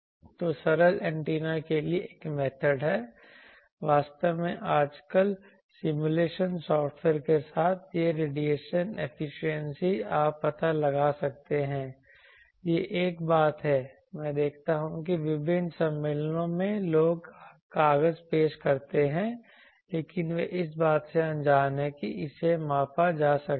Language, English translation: Hindi, So, for simple antennas there is a method actually all the simulation software nowadays this radiation efficiency you can find out, that is one thing actually I will see that in various conferences people present the paper, but they are unaware that this can be measure